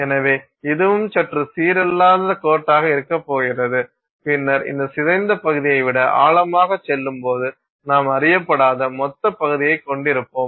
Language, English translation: Tamil, So, this is also going to be some slightly non uniform line and then below that when you go deeper than this deformed region you will have the undeformed bulk region